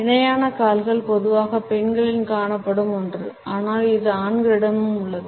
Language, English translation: Tamil, Parallel legs is something which is normally seen in women, but it is also same in men also